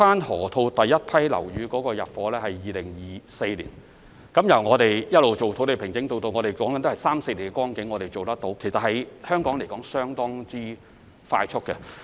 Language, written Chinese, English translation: Cantonese, 河套地區首批樓宇將於2024年入伙，由土地平整至樓宇落成只需三四年時間，在香港來說已是相當快速。, It is expected that the first batch of buildings in the Loop will be completed for intake in 2024 . This is actually very fast for Hong Kong to complete a building in three to four years after site formation